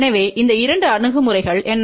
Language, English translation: Tamil, So, what were that these two approaches